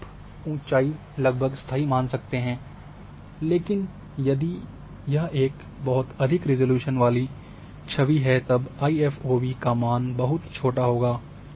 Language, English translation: Hindi, So, they are you can consider height is almost constant, but if a very high resolution image is there then IFOV and is going to be very small